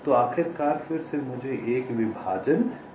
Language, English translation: Hindi, so finally, again, i get a partition